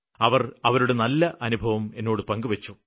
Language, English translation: Malayalam, And they shared a very good experience